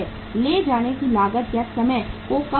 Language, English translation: Hindi, Minimizes the carrying cost and time